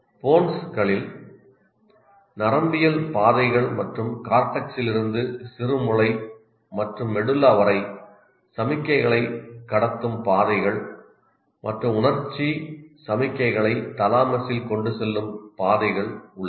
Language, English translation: Tamil, And it's a kind of, it includes neural pathface and tracks that conduct signals from the cortex down to the cerebellum and medulla and tracks that carry the sensory signals up into the thalamus